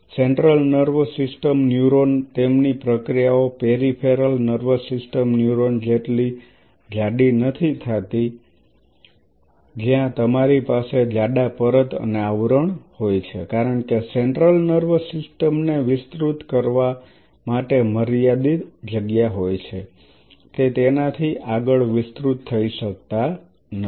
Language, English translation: Gujarati, The central nervous system neuron, so central nervous system neuron does not their processes does not become as thick as the peripheral nervous system neuron where you have a thick coating and covering because central nervous system has a limited space to expand it cannot expand beyond it